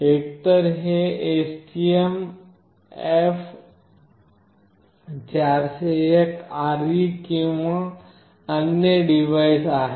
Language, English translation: Marathi, Either it is STMF401RE or another device